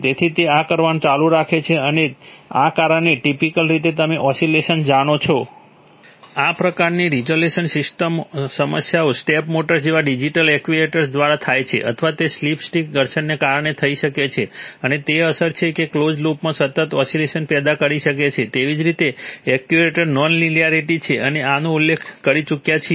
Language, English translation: Gujarati, So it keeps on doing this and that causes you know oscillations, so typically, Such resolution problems are caused either by digital actuators like step motors or they could be caused by stick slip friction and the effect is that it may cause a sustained oscillation in closed loop similarly actuator non linearity, we have already mentioned this